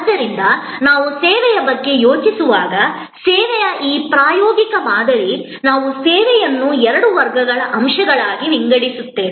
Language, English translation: Kannada, Therefore, when we think of service, this experiential paradigm of service, we divide the service into two classes of elements